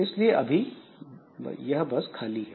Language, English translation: Hindi, So I have got a buffer